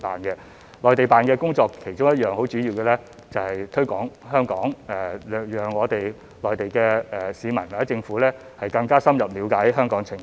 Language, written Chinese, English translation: Cantonese, 駐內地辦的其中一項主要工作就是推廣香港，讓內地市民或政府更深入了解香港的情況。, One of their important missions is to promote Hong Kong so that Mainland people or governments will have a better understanding of Hong Kong